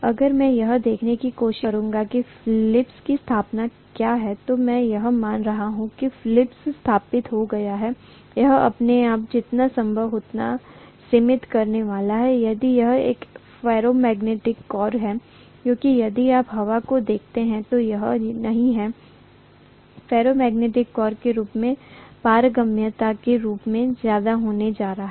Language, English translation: Hindi, If I try to look at what is the flux established, I am assuming that the flux is established, whatever is established, it is going to confine itself as much as possible to the core if it is a ferromagnetic core because if you look at air, it is not going to have as much of permeability as what ferromagnetic core has